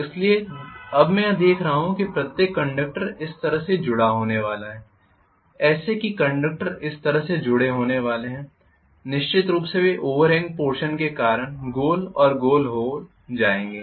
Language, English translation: Hindi, So now I am going to see that the conductors each of the conductors are going to be connected like this you are going to have the conductor connected like this of course they will go round and round because of the overhang portion